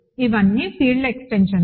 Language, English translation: Telugu, So, they are all field extensions